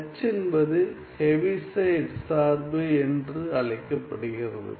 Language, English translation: Tamil, The H is called the Heaviside function right